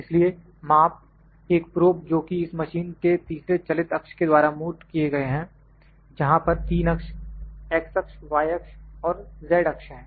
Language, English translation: Hindi, So, measurements are defined by a probe attached to the third moving axis of this machine where 3 axis, x axis, y axis and z axis, in z axis